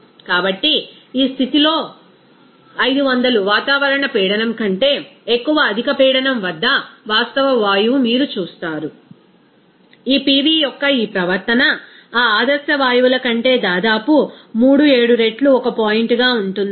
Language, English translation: Telugu, So, at this condition, you will see that at higher pressure more than 500 atmospheric pressure, you will see that this real gas behavior of this pV will be one point almost three seven times of that ideal gases